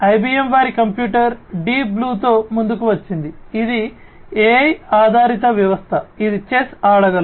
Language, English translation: Telugu, IBM came up with their computer, the Deep Blue, which is a AI based system which can play chess